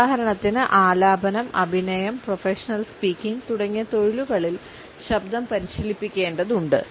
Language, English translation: Malayalam, For example in professions like singing acting as well as for professional speakers we find that the voice has to be trained